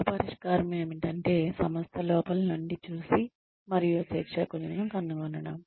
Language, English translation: Telugu, One solution is, to look inside and find trainers, from within the organization